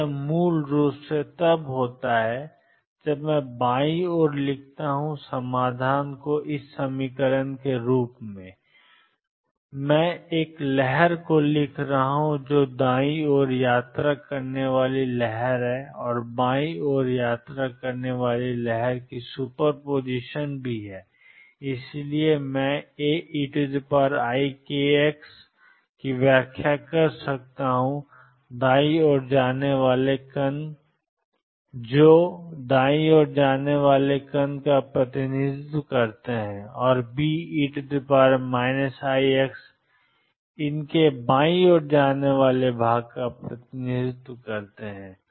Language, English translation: Hindi, So, this is basically when I write on the left hand side the solution has A e raised 2 i k x plus B e raised to minus i k x, I am writing a wave which is superposition of wave travelling to the right and wave travelling to the left and therefore, I could interpret A e raised to i k x as representing particles coming to the right and B e raised to minus k x as representing part of these going to the left